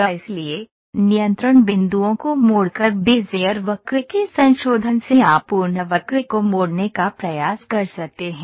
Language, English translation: Hindi, So, the modification of Bezier curve by tweaking the control points you can try to tweak the complete curve